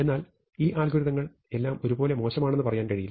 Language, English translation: Malayalam, But this is not to say that these algorithms are all equally bad